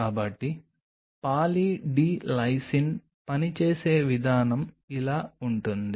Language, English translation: Telugu, So, the way say Poly D Lysine works it is something like this